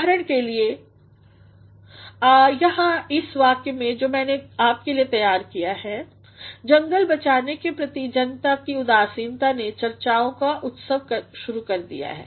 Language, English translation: Hindi, For example, here in the sentence that I have taken for you is, The apathy of the masses towards forest conservation has initiated a spree of discussions